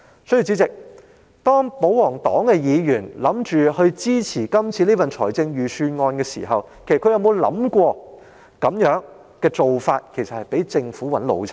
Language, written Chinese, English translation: Cantonese, 所以，主席，當保皇黨議員打算支持今次的預算案時，他們其實可有想過這樣做會被政府擺了一道？, Therefore Chairman when the royalist Members intend to vote in support of the Budget this year has it ever occurred to them that they have actually been fooled by the Government?